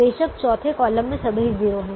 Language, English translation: Hindi, the fourth column has all zeros